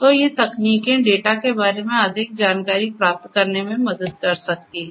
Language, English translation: Hindi, So, these techniques together can help in getting more insights about the data